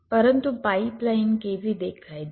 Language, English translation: Gujarati, but how a pipeline looks like